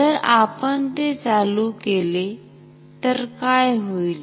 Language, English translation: Marathi, What happens if we turn it